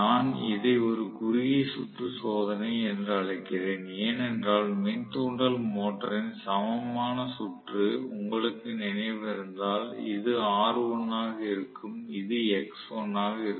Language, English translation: Tamil, I call this as short circuit test because if you recall the equivalent circuit of the induction motor this is going to be r1 this is going to be x1